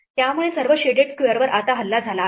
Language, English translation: Marathi, So, all the shaded squares are now under attack